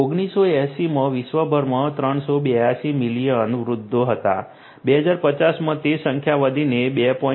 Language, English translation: Gujarati, In 1980, there were 382 million you know elderly persons over the world, in 2050 that number is going to grow to 2